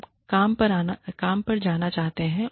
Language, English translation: Hindi, We want to go to work